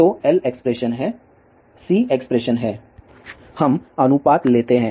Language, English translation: Hindi, So, L expression is there C expression is there, we take the ratio